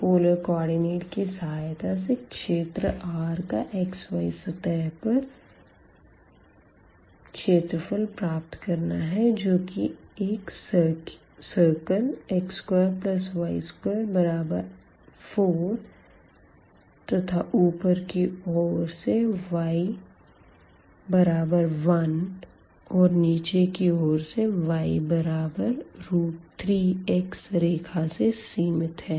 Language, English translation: Hindi, So, using the polar coordinate will find the area of the region R in the xy plane enclosed by the circle x square plus y square is equal to 4 above the line y is equal to 1 and below the line y is equal to a square root 3 x